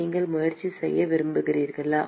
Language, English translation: Tamil, You want to try